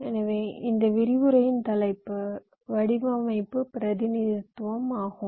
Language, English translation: Tamil, so the topic of this lecture is design representation